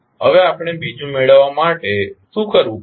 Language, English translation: Gujarati, Now, to obtain the second one what we do